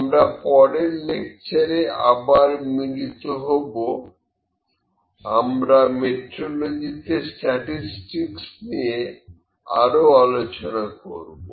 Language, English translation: Bengali, So, we will meet in the next lecture, we will discuss the statistical parts in metrology further